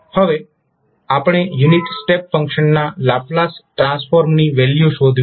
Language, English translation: Gujarati, Now, what we have to do we have to find out the value of the Laplace transform of unit step function